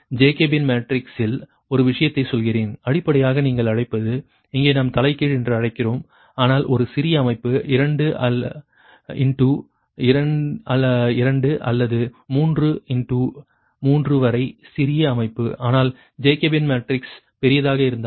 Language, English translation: Tamil, let me tell you one thing: that in jacobian matrix, right, when basically your what you call that here we are taking inverse right, but a small system, two in to two or three in to three, small system if, ah, that is